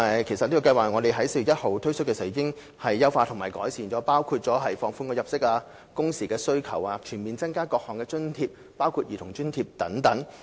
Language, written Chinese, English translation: Cantonese, 其實，我們在今年4月1日推出該計劃時已經優化和改善，包括放寬入息及工時要求、全面增加各項津貼額，包括兒童津貼等。, Actually when we launched the scheme on 1 April this year we had already made some enhancements and improvements such as relaxing the income and work hour requirements comprehensively increasing the amounts of various subsidies such as the Child Allowance